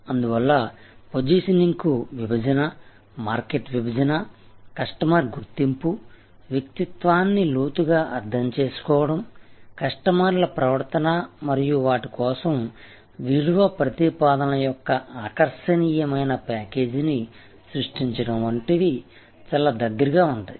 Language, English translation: Telugu, So, that is why positioning is very closely allied to segmentation, market segmentation, customer identification, deeply understanding the persona, the behaviour of customers and creating an unassailable attractive package of value propositions for them